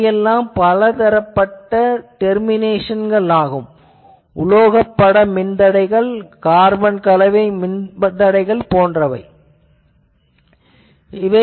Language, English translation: Tamil, Now, these are the various terminations you can have metal film resistors or you can have carbon composition resistors etc